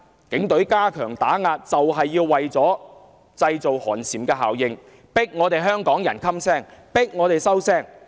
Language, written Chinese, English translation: Cantonese, 警隊加強打壓正是為了製造寒蟬效應，迫香港人噤聲、收聲。, By stepping up the suppression the Police Force mean precisely to produce a chilling effect that would muzzle and silence hongkongers